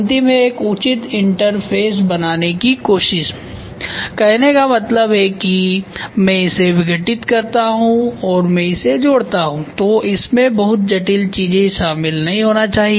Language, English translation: Hindi, The last one is try to have a proper interface; that means, to say when I dismantle and when I fix it up it should not involve very complex things